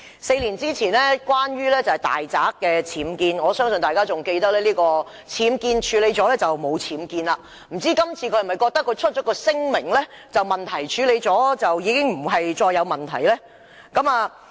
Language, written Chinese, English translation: Cantonese, 四年前，是因為其大宅的僭建，我相信大家仍記得，他覺得處理僭建後便沒有僭建，不知道今次他是否亦覺得發出聲明，問題處理後已不再是問題？, Four years ago the subject of impeachment was related to the unauthorized building works UBWs at his residence . I believe Members can still recall that LEUNG considered that UBWs no longer existed once they had been dealt with . In this incident I wonder does he still think that after he has made a statement to fix the problem there is no more problem